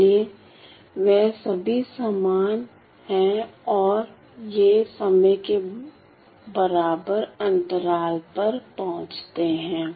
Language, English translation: Hindi, So, they are all equal and they arrive at equal intervals of time